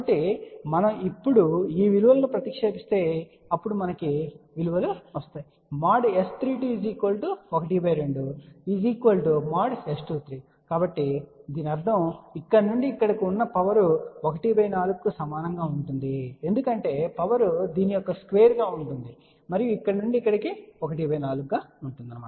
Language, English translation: Telugu, So, if we now substitute these values so what we can find out is that S 3 2 magnitude is equal to half and that is equal to S 2 3; so that means, the power from here to here is equal to you can say 1 by 4 because, power will be square of this and from here to here will be 1 by 4